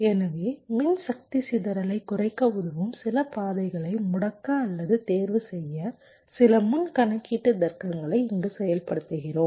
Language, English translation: Tamil, some pre computation logic to disable or un select some of the paths which can help in reducing power dissipation